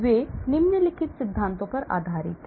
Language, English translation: Hindi, they are based on the following principles